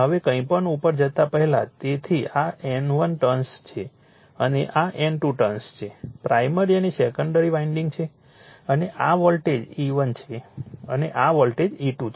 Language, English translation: Gujarati, Now, before going to anything, so this is my N 1 turn and this is N 2 turn primary and secondary windings and this voltage is E 1 and this voltage is E 2, right